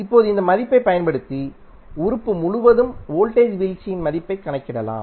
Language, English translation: Tamil, And now using this value you can simply calculate the value of voltage drop across the the element